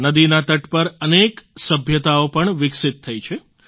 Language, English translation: Gujarati, Many civilizations have evolved along the banks of rivers